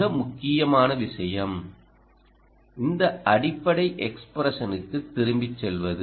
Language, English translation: Tamil, see, it brings down to a very important point that you go back to this basic expression